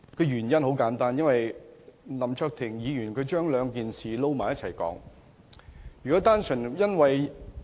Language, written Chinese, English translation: Cantonese, 原因很簡單，因為林卓廷議員將兩件事混為一談。, The reason is simple . Mr LAM Cheuk - ting has mixed up the two issues